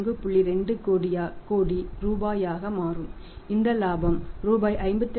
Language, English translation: Tamil, 20 crore this profit is rupees 54